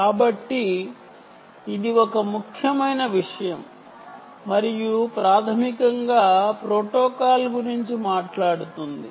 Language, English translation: Telugu, ok, so this is an important thing and that s what basically the protocol is actually ah talking about